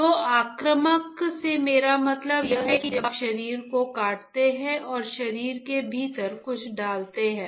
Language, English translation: Hindi, So, what I mean by invasive, invasive is when you cut the body and you place something within the body